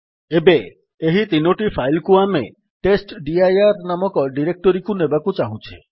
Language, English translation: Odia, Now we want to move these three files to a directory called testdir